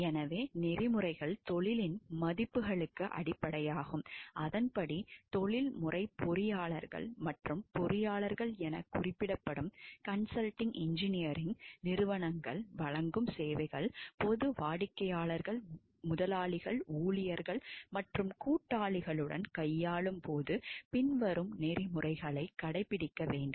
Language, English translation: Tamil, Therefore, ethics are fundamental to the values of the profession, accordingly the services provided by professional engineers and consulting engineering organizations referred to as engineers should adhere to the following code of ethics while dealing with the public, clients, employers, employees and associates